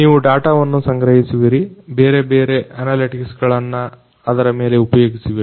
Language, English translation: Kannada, You collect the data you run different, different analytics into it